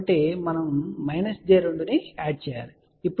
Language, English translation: Telugu, And in y we have to add plus j 2